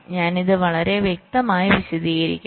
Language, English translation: Malayalam, so i shall be explaining this very clearly